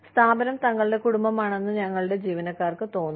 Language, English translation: Malayalam, We need our employees, to feel like, the organization is their family